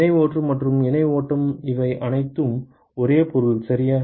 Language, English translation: Tamil, Parallel flow and co current flow they all mean the same ok